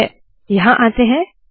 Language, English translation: Hindi, Alright, lets come here